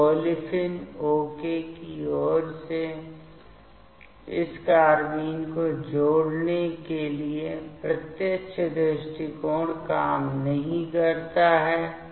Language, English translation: Hindi, So, direct approach does not work for this addition of this carbene towards the olefin ok